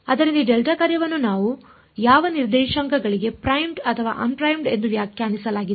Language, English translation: Kannada, So, the question is in for which coordinates is this delta function defined primed or un primed